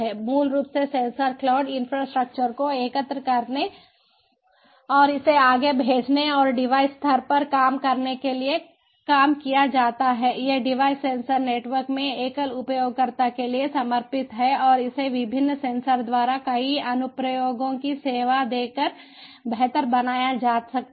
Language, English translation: Hindi, the sensor cloud infrastructure basically is tasked to aggregate and send it forward and at the device level, these devices are dedicated to a single user in sensor networks and this can be improved by serving multiple applications by the different sensors